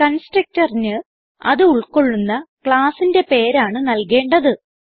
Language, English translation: Malayalam, Remember the Constructor has the same name as the class name to which it belongs